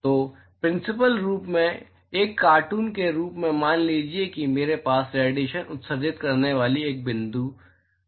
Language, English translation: Hindi, So, in principle as a cartoon supposing I have a point object here emitting radiation